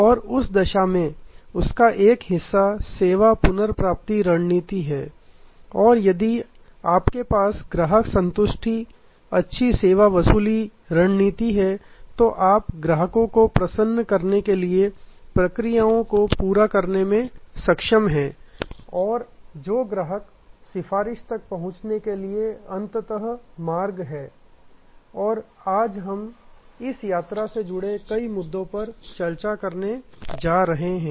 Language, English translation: Hindi, And in that, one part of that is the service recovery strategy and if you have customer satisfaction, good service recovery strategy, then you are able to over lay the processes for customer delight and that is the pathway ultimately to reach customer advocacy and we are going to discuss today many issues relating to this journey